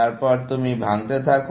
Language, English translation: Bengali, Then, you keep breaking down